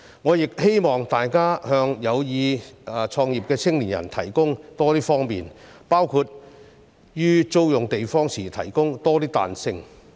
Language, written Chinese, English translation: Cantonese, 我亦希望大家向有意創業的青年人提供多些方便，包括於租用地方時提供多些彈性。, I also hope that more convenience will be provided for young people who wish to start their own businesses including providing more flexibility in renting premises